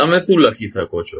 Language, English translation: Gujarati, What you can write